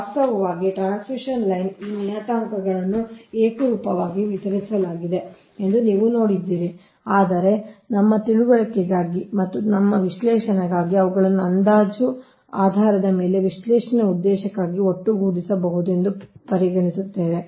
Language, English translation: Kannada, actually, transmission line, you have seen, these parameters are uniformly distributed, right, but for our understanding and for our analysis will consider, they can be lumped for the purpose of analysis, an approximate basis